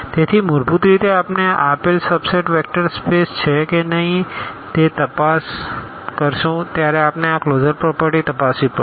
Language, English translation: Gujarati, So, basically when we check whether a given subset is a vector space or not what we have to check we have to check these closure properties